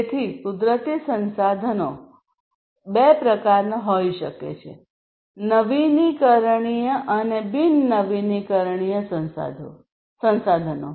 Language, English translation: Gujarati, So, natural resources can be of two types, the renewable ones and the non renewable ones